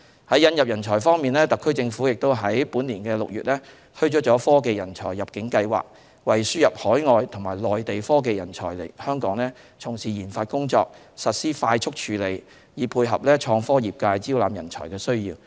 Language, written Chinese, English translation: Cantonese, 在引入人才方面，特區政府於本年6月推出了"科技人才入境計劃"，為輸入海外和內地科技人才來港從事研發工作實施快速處理，以配合創科業界招攬人才的需要。, Regarding attraction of talents in order to meet the needs of the IT sector in getting talents the SAR Government rolled out a Technology Talent Admission Scheme in June this year to provide a fast - track arrangement for the admission of overseas and Mainland technology talents into Hong Kong for research and development work